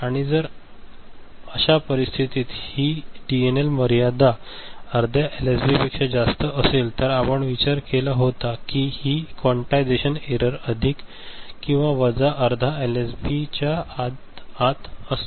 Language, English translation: Marathi, And if the this DNL limit is higher like that of say half LSB for such a case, we had earlier considered for the quantization noise etcetera that it is within this plus minus half LSB